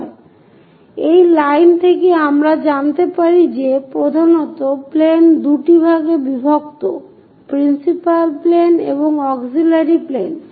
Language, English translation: Bengali, So, from this line we can lend mainly the planes are divided into two, principal planes, auxiliary planes